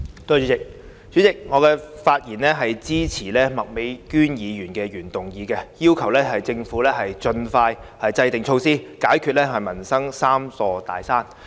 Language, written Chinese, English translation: Cantonese, 代理主席，我發言支持麥美娟議員的原議案，要求政府盡快制訂措施，解決民生的"三座大山"。, Deputy President I speak in support of Ms Alice MAKs original motion on requesting the Government to expeditiously formulate measures to overcome the three big mountains in peoples livelihood